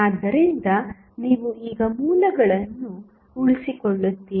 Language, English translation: Kannada, So, you will retain the sources now